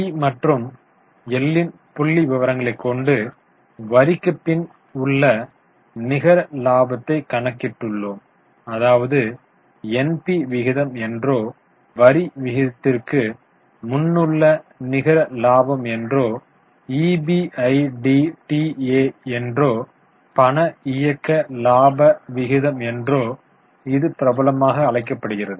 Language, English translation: Tamil, Then for P&L we have calculated profitability as net profit after tax, popularly known as NP ratio, net profit before tax ratio and also EBITA or cash operating profit ratio